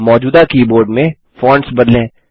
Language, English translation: Hindi, Let us change the fonts in the existing keyboard